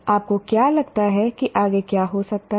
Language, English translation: Hindi, What do you think could happen next